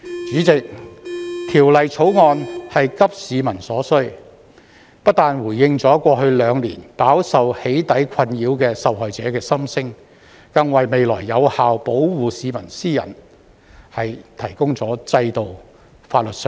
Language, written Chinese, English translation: Cantonese, 主席，《條例草案》是急市民之所需，不但回應了在過去兩年飽受"起底"困擾的受害者的心聲，更為未來有效保護市民私隱提供了制度、法律上的保障。, President the Bill is a response to the needs of the public . Not only does it respond to the voices of the victims who have been troubled by doxxing in the past two years but it also provides institutional and legal protection for the effective safeguarding of peoples privacy in the future